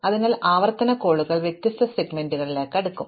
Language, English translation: Malayalam, So, the recursive calls will be sorting different segments